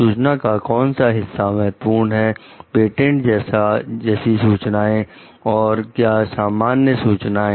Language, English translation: Hindi, What part of the information was like very core, patented kind of information and what is a general information